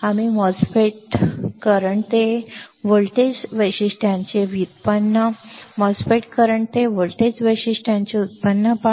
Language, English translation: Marathi, We will looking at the derivation of MOSFET current to voltage characteristics, derivation of MOSFET current to voltage characteristics